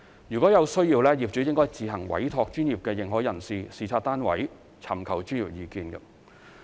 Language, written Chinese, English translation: Cantonese, 如有需要，業主應自行委託專業認可人士視察單位，尋求專業意見。, Property owners should appoint a professional Authorized Person to inspect the properties and seek professional advice as needed